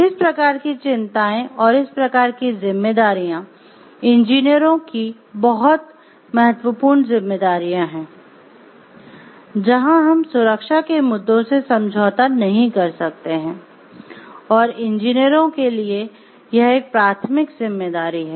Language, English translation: Hindi, So, these type of concerns, these types of responsibilities are very important responsibilities of engineers where we cannot compromise with the safety issues and it has to be a primary responsibility for the engineers